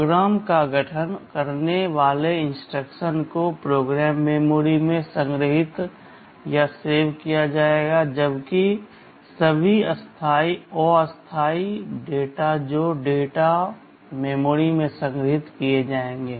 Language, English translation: Hindi, The instructions that constitute the program will be stored in the program memory, while all temporary data that will be stored in the data memory